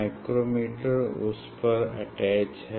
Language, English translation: Hindi, I will use micrometer